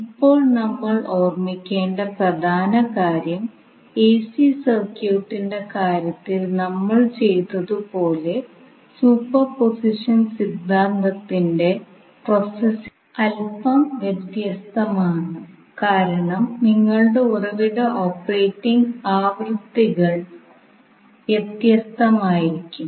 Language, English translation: Malayalam, Now, here the important thing which you have to keep in mind is that the processing of the superposition theorem is little bit different as we did in case of AC circuit because your source operating frequencies can be different